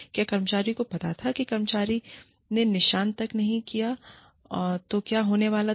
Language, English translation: Hindi, Did the employee know, what was going to happen, if the employee did not perform, up to the mark